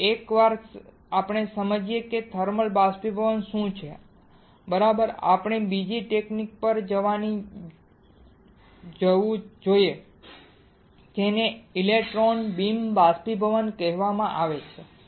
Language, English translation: Gujarati, Now, once we understand what is thermal evaporator right we should go to another technique that is called electron beam evaporation